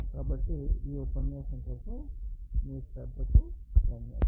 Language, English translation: Telugu, So, thank you for your attention for this lecture